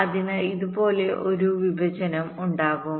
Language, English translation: Malayalam, so there will be a partition like this